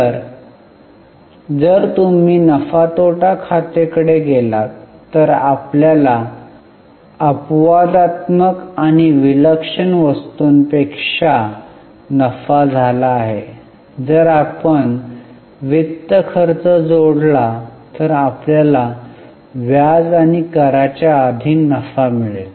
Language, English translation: Marathi, So, if you go to P&L, we have got profit before exceptional and extraordinary items, that if we add finance costs we will get profit before interest and taxes